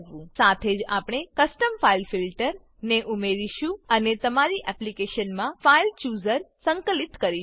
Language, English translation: Gujarati, We will also add a custom file filter, and integrate the File Chooser into your application